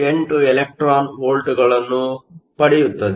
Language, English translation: Kannada, 78 electron volts